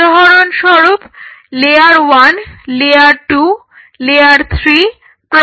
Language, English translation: Bengali, So, for example, layer 1 layer 2 layer 3 layer 4